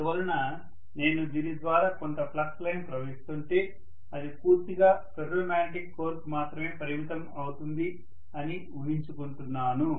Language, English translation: Telugu, So because of which, I am going to assume that if I have some flux line flowing through this, it is going to completely confine itself to the ferromagnetic core alone